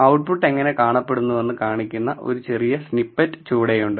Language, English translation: Malayalam, There is a small snippet below which shows you how the output looks